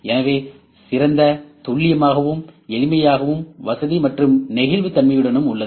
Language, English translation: Tamil, So, better accuracy is there, simplicity is there, convenience and flexibility is there